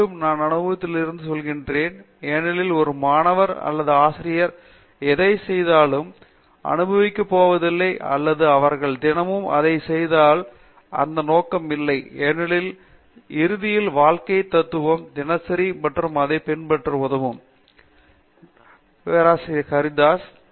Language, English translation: Tamil, Again, I say this from experience because, if a student or a teacher or whoever is not going to enjoy what he does or she does every day, there is no motive because finally, that is a life philosophy that the objective is to be happy everyday and follow that